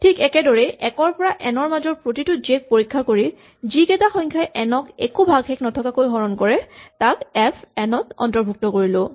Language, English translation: Assamese, Similarly, for each j from 1 to n we check, whether j divides n and if so we add it to the list fn